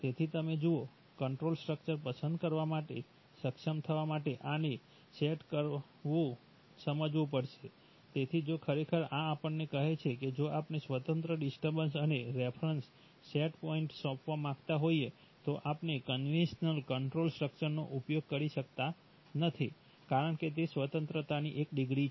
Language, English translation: Gujarati, So you see, these have to be realized to be able to choose the control structure, so if you really, so this tells us that if we want to assign independent disturbance and reference set points then we cannot use the conventional control structure, because that is one degree of freedom right